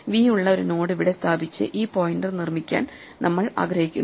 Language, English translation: Malayalam, We want to put a node here which has v and make this pointer